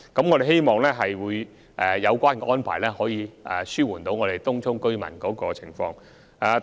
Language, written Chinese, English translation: Cantonese, 我們希望有關安排有助紓緩東涌居民的情況。, We hope that the relevant arrangement will help allay the concerns of Tung Chung residents